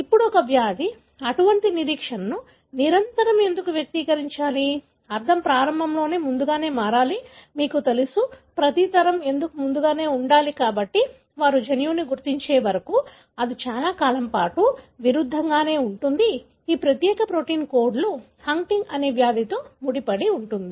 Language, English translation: Telugu, Now, why should, a disease invariably express such kind of anticipation, meaning should become earlier at onset, you know, every generation why should it be earlier So, that is, it remained a paradox for a long time, until they identified the gene that codes for this particular protein which is involved in the disease called Huntington